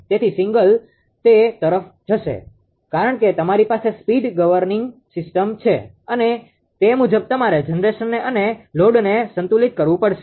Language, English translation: Gujarati, So, the signal will go to that right because you have a speed governing system right and accordingly you have to adjust the generation will adjust the load